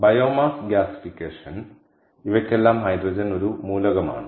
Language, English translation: Malayalam, biomass gasification so all these have hydrogen as an element, right